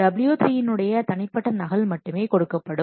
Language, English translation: Tamil, A copy of W3 will be given at the private copy